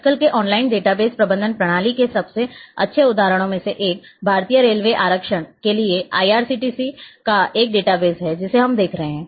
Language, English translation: Hindi, One of the best examples of nowadays online database management system which we see access is a like database of IRCTC for Indian railway reservations